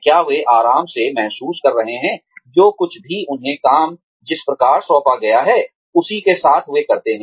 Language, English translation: Hindi, Are they feeling comfortable with, whatever they have been assigned, with the type of work, they do